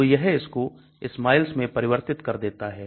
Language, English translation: Hindi, So it converts that into SMILES